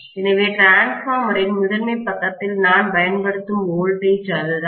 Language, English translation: Tamil, So, that is the voltage that I am applying on the primary side of the transformer